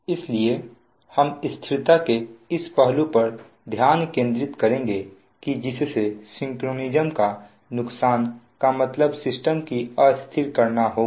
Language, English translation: Hindi, so we will focus on this aspect of stability, that whereby a loss of synchronism will mean to render the system unstable